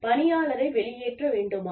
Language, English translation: Tamil, Should you discharge the employee